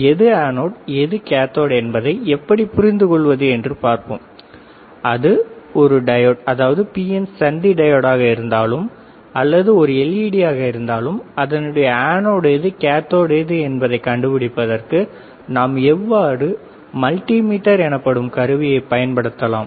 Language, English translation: Tamil, Which is anode which is cathode we will see in terms of how to understand, which is anode which is cathode in terms of a diode whether is PN junction diode whether is led we can always use a equipment called multimeter